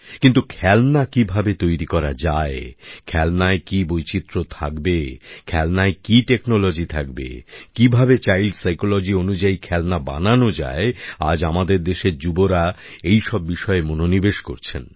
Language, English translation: Bengali, But, how to craft toys, what diversity to be lent to toys, what technology to be used, how toys should be, compatible with child psychology…these are points where the youth of the country is applying minds to…wishing to contribute something